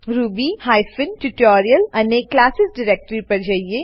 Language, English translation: Gujarati, To ruby hyphen tutorial and classes directory